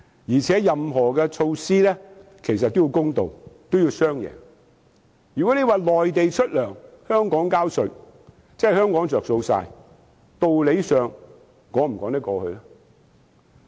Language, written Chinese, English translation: Cantonese, 而且，任何措施也要公道和造成"雙贏"，如果內地出糧，香港收稅，只有香港受惠，道理上能否說得通？, Besides any measure must be fair and able to achieve win - win results . Can it stand to reason if only Hong Kong can receive tax payments for wages paid on the Mainland and therefore benefit?